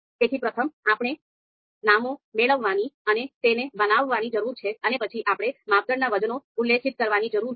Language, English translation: Gujarati, So, first we need to get the names and create this, then we need to specify the criteria weights